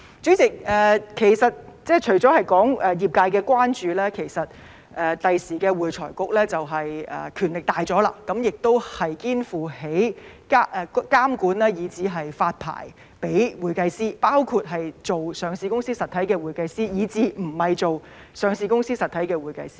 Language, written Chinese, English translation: Cantonese, 主席，除了業界的關注，其實未來會財局的權力大了，肩負起監管以至發牌予會計師的責任，包括做上市實體的會計師以至不是做上市實體的會計師。, President having stated the concerns of the profession I would like to say that the future AFRC will have greater powers and assume the responsibility of regulating and even licensing accountants including those who are accountants of listed entities and those who are not